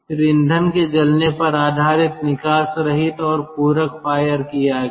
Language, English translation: Hindi, then based on the burning of fuel: unfired, exhaust fired and supplementary fired